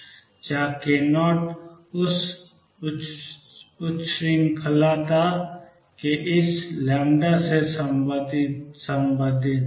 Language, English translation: Hindi, Where k naught is related to this lambda of this undulation